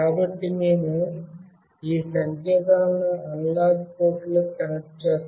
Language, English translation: Telugu, So, we will connect we will be connecting these signals to analog ports